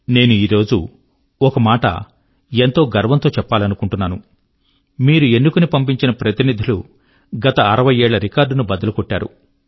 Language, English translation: Telugu, Today, I wish to proudly mention, that the parliamentarians that you have elected have broken all the records of the last 60 years